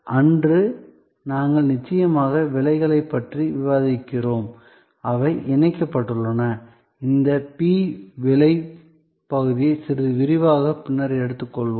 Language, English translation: Tamil, We are then of course discussed about prices, which are linked and we will take up this p, the price part in little detail later